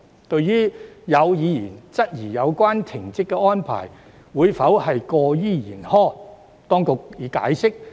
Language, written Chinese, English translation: Cantonese, 對於有議員質疑有關停職安排會否過於嚴苛，當局已作出解釋。, In response to some members query as to whether the suspension arrangement would be too harsh the Administration has explained for this